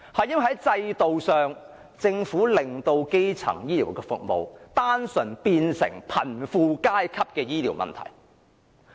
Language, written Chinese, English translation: Cantonese, 原因是，政府令基層醫療服務演變成單純的貧富階級醫療問題。, It is because the Government has rendered the provision of primary health care services a health care problem concerning solely the gap between the rich and the poor